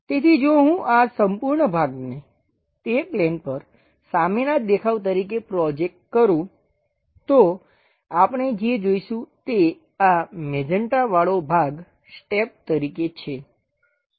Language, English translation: Gujarati, So, if I am going to project this entire part onto that plane as the front view what we will be seeing is this magenta portion as steps